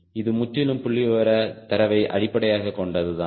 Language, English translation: Tamil, this is purely based on the statistical data